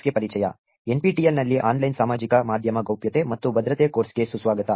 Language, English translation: Kannada, Welcome to Privacy and Security in Online Social Media course on NPTEL